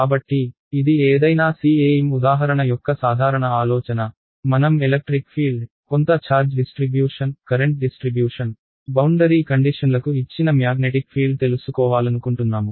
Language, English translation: Telugu, So, that will be the general idea of any cem example right, I want to find out the electric field, magnetic field given some charge distribution, current distribution, boundary conditions blah blah right